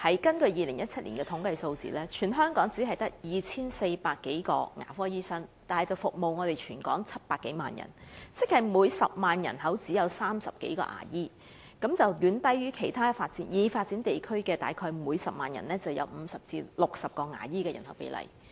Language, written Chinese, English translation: Cantonese, 根據2017年的統計數字，全港只有 2,400 多名牙科醫生，但他們卻要服務全港700多萬人口，亦即每10萬人只有30多名牙醫，遠低於其他已發展地區約每10萬人有50至60名牙醫的比例。, According to the statistical figures in 2017 the number of dentists in the territory is only 2 400 odd but they have to serve a total population of over 7 million . In other words there are only 30 odd dentists per 100 000 population which is far below the ratio of 50 to 60 dentists per 100 000 population in other developed areas